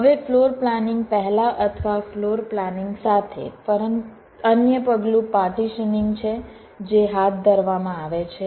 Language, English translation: Gujarati, ok, fine, now before floorplanning, or along with floorplanning, there is another steps, call partitioning, which are carried out